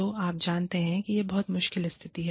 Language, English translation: Hindi, So, you know, it is a very tricky situation